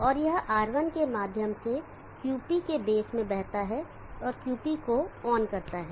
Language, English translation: Hindi, And it flows through R1 into the base of QP and terms on QP